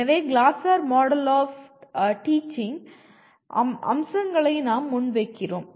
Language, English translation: Tamil, So we present the features of Glasser Model of Teaching